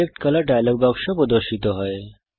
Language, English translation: Bengali, The Select Color dialogue box is displayed